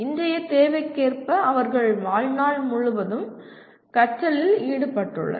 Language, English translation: Tamil, And as present day requires they are involved in lifelong learning